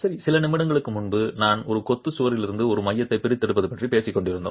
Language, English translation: Tamil, Well, a few moments earlier we were talking about extracting a core from a masonry wall